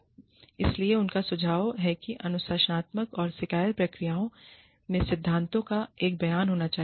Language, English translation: Hindi, So, they suggest, that the disciplinary and grievance procedures should contain, a statement of principles